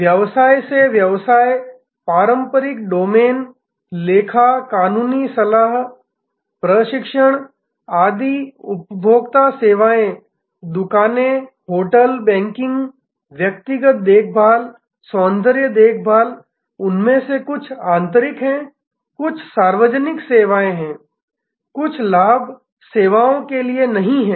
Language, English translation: Hindi, Business to business, traditional domain, accountancy, legal advice, training, etc, consumer services, shops, hotels, banking, personal care, beauty care, some of them are internal, some are public services, some are not for profit services